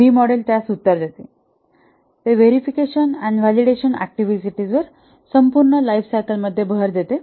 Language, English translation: Marathi, The V model emphasizes on the verification and validation activities throughout the lifecycle